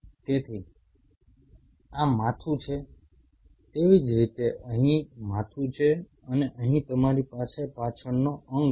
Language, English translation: Gujarati, So, this is the head similarly here is the head and here you have the hind limb